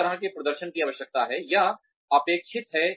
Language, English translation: Hindi, What kind of performance is required or expected